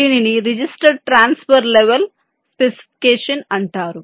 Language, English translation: Telugu, this is called register transfer level specification